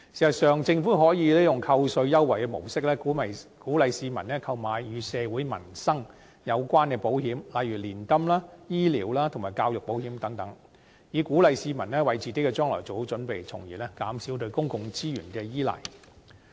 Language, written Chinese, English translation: Cantonese, 事實上，政府可用扣稅優惠的模式，鼓勵市民購買與社會民生有關的保險，例如年金、醫療及教育保險等，以鼓勵市民為自己的將來做好準備，從而減少對公共資源的依賴。, In fact the Government can through offering tax concessions encourage members of the public to take out insurance related to peoples livelihood such as annuities health insurance and education insurance so as to make preparations for their future thus reducing their reliance on public resources